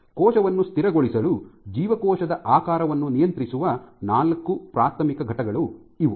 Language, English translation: Kannada, So, these are the four primary entities which regulate cell shape are required for cell to be stabilized